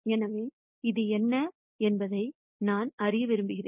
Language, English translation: Tamil, So, I want to know what this is